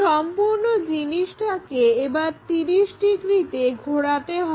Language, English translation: Bengali, So, we just have to rotate this by 30 degrees